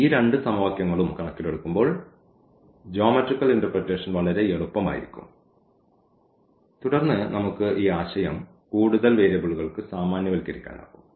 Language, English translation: Malayalam, So, considering this these two equations because, the geometrical interpretation will be very easy and then we can generalize the concept for 4 more variables